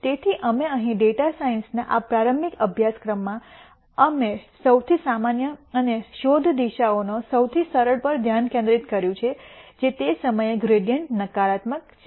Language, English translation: Gujarati, So, we here in this introductory course on data science we focused on the most common and the simplest of the search directions which is the negative of the gradient at that point